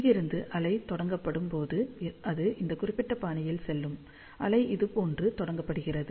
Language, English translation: Tamil, So, when the wave is launched from here, it will go in this particular fashion, the wave is launched like this